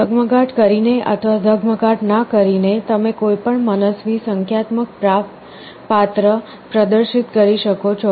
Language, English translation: Gujarati, By glowing or a not glowing them selectively, you can display any arbitrary numeric character